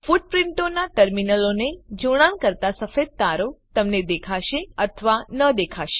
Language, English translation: Gujarati, You may or may not see white wires connecting the terminals of footprints